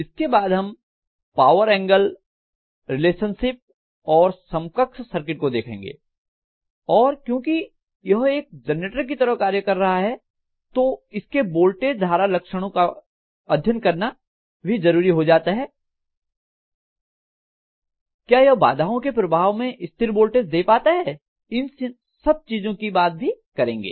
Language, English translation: Hindi, After that we will looking at power angle relationship and equivalent circuit and because it is working as a generator it is very important to look at VI characteristics of the generator whether it will be able to maintain a constant voltage in case of disturbance how do we handle it, these things will be talked about